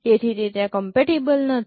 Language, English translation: Gujarati, This is not compatible